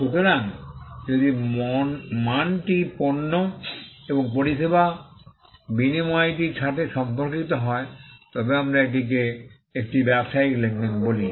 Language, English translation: Bengali, So, if the value pertains to the exchange of goods and service then, we call that a business transaction